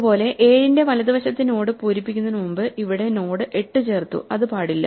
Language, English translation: Malayalam, Similarly, here the node 8 could not have been added here before we filled in the right child of 7